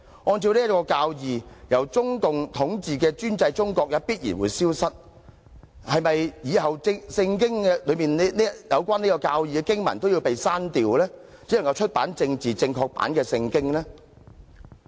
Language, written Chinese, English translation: Cantonese, 按着這教義，由中共統治的專制中國也必然會消失，那麼，是否以後《聖經》中有關這教義的經文都要刪掉，只能出版政治正確版的《聖經》呢？, According to this doctrine the totalitarian China ruled by CPC will also disappear so is it necessary to delete all scriptures related to this doctrine in the Bible and only a politically correct Bible can be published?